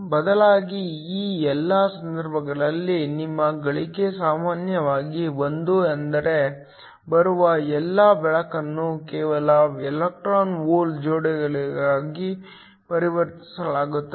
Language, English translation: Kannada, Instead, all of these cases your gain is typically 1 which means all the light that comes in just gets converted into electron hole pairs